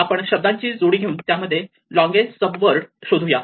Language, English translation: Marathi, So, what you want to do is take a pair of words and find the longest common subword